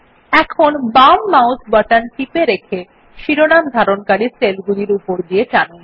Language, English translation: Bengali, Now hold down the left mouse button and drag it along the cells containing the headings